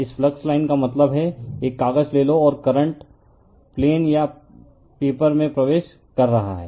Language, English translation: Hindi, This flux line means you take a paper, and current is entering into the plane or into the paper right